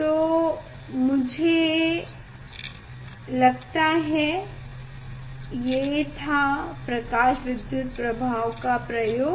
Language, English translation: Hindi, this is the experimental setup for photoelectric effect